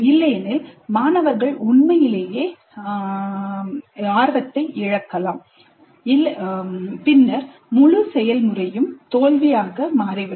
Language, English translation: Tamil, Otherwise the students really might get turned off lose interest and then the whole process would be a failure